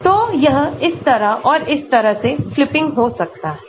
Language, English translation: Hindi, So, it can be flipping this way and that way